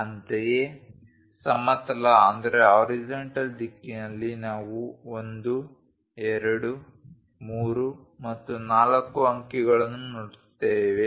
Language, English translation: Kannada, Similarly, in the horizontal direction we see numerals 1, 2, 3 and 4